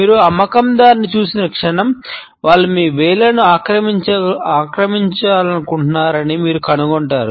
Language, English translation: Telugu, The moment you come across a salesperson, you would find that they want to occupy your fingers